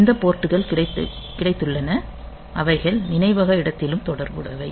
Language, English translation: Tamil, So, we have got these ports also they are they are also associated in memory location